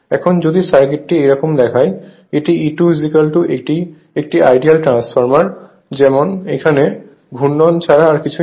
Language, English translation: Bengali, Now, if you look into the circuit like this so, this is my E 2 is equal to this is an ideal transformer as if nothing is here except winding